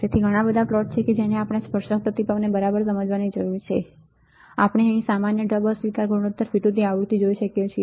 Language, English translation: Gujarati, So, lot of plots are there that we need to understand tangent response right, we can we can see here common mode rejection ratio versus frequency